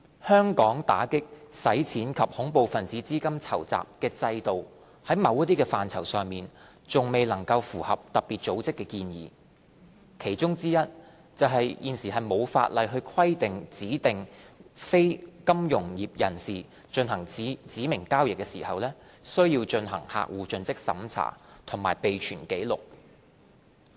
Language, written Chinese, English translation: Cantonese, 香港打擊洗錢及恐怖分子資金籌集的制度，在某些範疇上還未能符合特別組織的建議，其中之一是現時並無法例規定指定非金融業人士進行指明交易時，須進行客戶盡職審查及備存紀錄。, Hong Kongs AMLCTF regime has failed to meet FATF recommendations in some areas such as the current absence of statutory CDD and record - keeping requirements for DNFBPs who engage in specified transactions